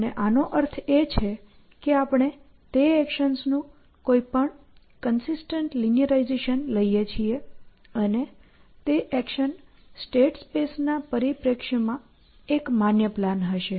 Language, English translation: Gujarati, And by this we mean we take any consistent linearization of those actions, and that action will be a plan in the sense of those plans being a valid plan in the state space perspective that we have seen earlier